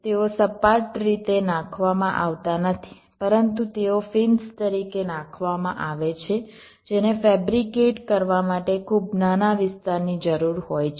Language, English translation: Gujarati, now they are not laid out in a flat fashion but they are laid out as fins which require much smaller area to fabricate